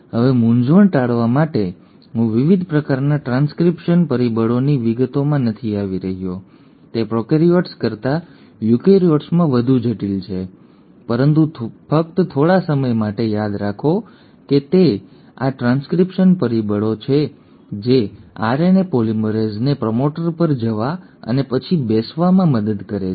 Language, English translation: Gujarati, Now to avoid confusion I am not getting into details of different kinds of transcription factors, they are far more complex in eukaryotes than in prokaryotes, but just for the time being remember that it is these transcription factors which assist the RNA polymerase to go and hop on a to the promoter and then sit on the promoter